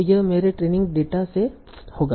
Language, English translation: Hindi, So this is what I will have from my training data